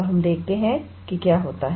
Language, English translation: Hindi, So, let us see what happens